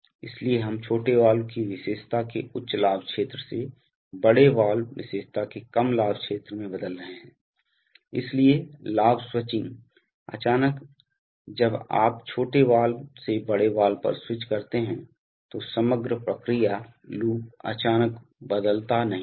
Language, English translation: Hindi, So, we are transforming from the high gain region of the small valve characteristic to the low gain region of the large valve characteristic, so therefore, the gain switching, the suddenly when you switch from the small valve to the large valve, the overall process loop gain does not suddenly change